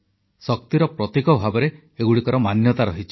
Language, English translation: Odia, They are considered a symbol of energy